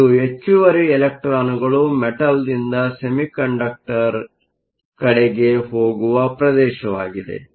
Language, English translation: Kannada, So, this is a region where excess electrons go from the metal to the semiconductor